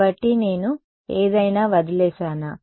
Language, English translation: Telugu, So, did I leave out anything